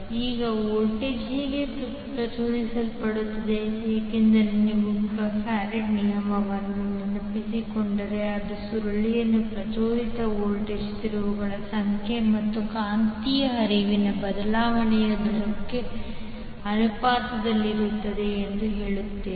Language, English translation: Kannada, Now how the voltage will be induced because if you remember the Faraday’s law it says that the voltage induced in the coil is proportional to the number of turns and the rate of change of magnetic flux